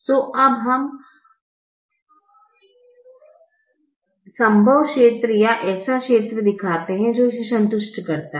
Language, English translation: Hindi, so we now show the feasible region or the region that satisfies this